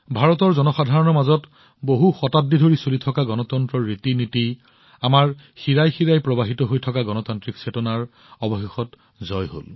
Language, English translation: Assamese, For us, the people of India, the sanskars of democracy which we have been carrying on for centuries; the democratic spirit which is in our veins, finally won